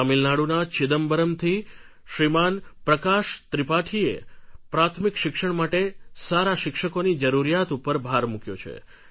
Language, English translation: Gujarati, Prakash Tripathi from Chidambaram in Tamil Nadu emphasizes the need for good teachers at primary level